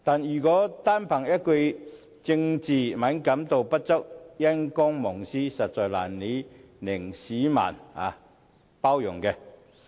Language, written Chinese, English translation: Cantonese, 如果單憑一句"政治敏感度不足"、"因公忘私"，實在難以令市民包容。, It will be difficult for members of the public to be tolerant simply for reasons of lacking political sensibility or being devoted to public service to the neglect of private affairs